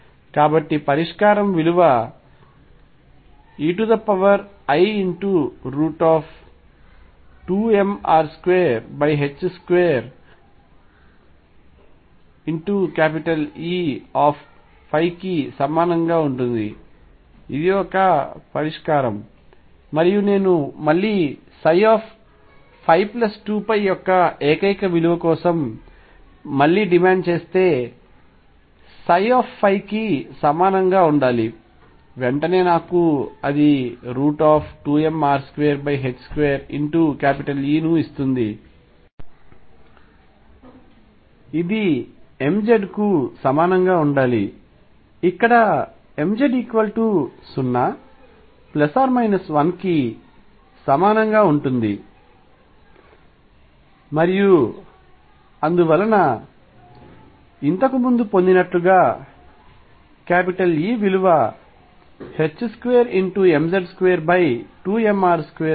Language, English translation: Telugu, So, the solution is going to be psi equals e raise to i square root of 2 m r square over h cross square E times phi, this is a solution and if I demand again for the unique value of psi phi plus 2 pi should be equal to psi phi, it immediately gives me that 2 m r square over h cross square e square root should be equal to m z where m z is equal to 0 plus minus 1 and so on and therefore, E comes out to be h cross square m z squared over 2 m r square as obtained earlier